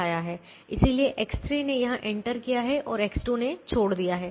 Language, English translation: Hindi, so x three has entered here and x two had left